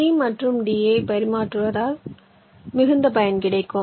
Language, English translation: Tamil, you will find that exchanging c and d will give you the maximum benefit